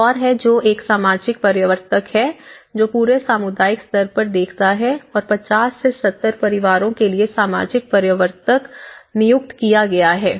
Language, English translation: Hindi, There is another which is a social promoter, who is looking at the whole community level and for 50 to 70 households is one of the social promoter has been appointed